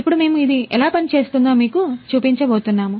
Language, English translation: Telugu, Now we are going to show you how it actually working